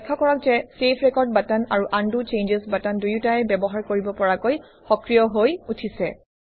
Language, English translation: Assamese, Notice that both the Save record button and the Undo changes button are enabled for use